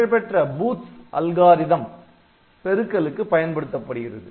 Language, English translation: Tamil, So, Booth s algorithm is a well known multiplication algorithm